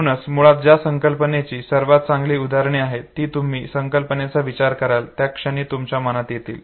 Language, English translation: Marathi, So they are basically the best examples of any concept that comes to your mind the moment you think of that very concept, okay